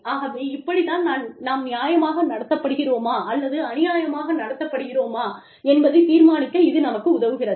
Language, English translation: Tamil, So, this is what we feel, will help us decide, whether we have been treated, fairly or unfairly